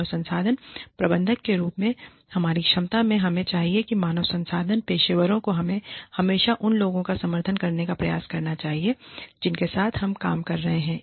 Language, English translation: Hindi, In our capacity, as human resources manager, we should, or human resources professionals, we should always strive to support the people, that we are working with